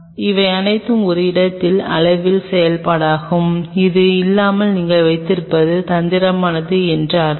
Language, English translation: Tamil, These are all function of the amount of a space your having right without that I mean it is tricky